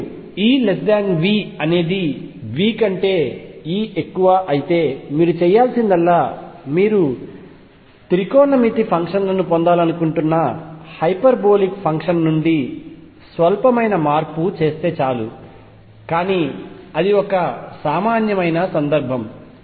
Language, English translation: Telugu, And we are taking the case where E is less than V if E is greater than V all you have to do is make a slight change from the hyperbolic function you want to get a trigonometric functions, but that is a trivial case